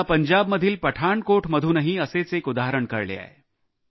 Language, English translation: Marathi, I have come to know of a similar example from Pathankot, Punjab